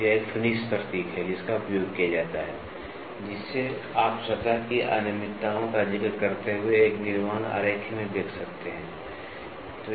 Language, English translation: Hindi, So, this is a finish symbol which is used wherein, you can see in a manufacturing drawing while referring to the surface irregularities